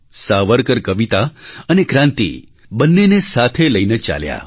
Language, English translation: Gujarati, Savarkar marched alongwith both poetry and revolution